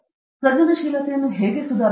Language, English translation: Kannada, How to improve creativity